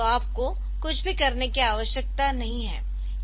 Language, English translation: Hindi, So, you do not need to do anything